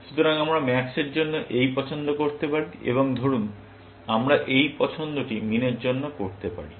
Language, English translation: Bengali, Then, we can have this choice for max, and let us say this choice for min